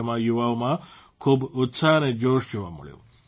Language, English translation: Gujarati, A lot of enthusiasm was observed in the youth